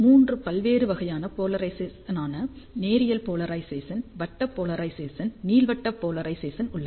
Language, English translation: Tamil, So, there are three different types of polarization, linear polarization, circular polarization, elliptical polarization